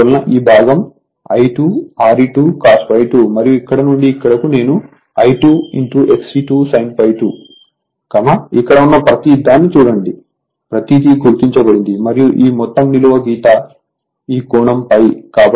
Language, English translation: Telugu, Therefore, this portion is I 2 R e 2 cos phi 2 and from here to here it is I 2 X e 2 sin phi 2, look everything I have marked and this whole vertical line this angle is phi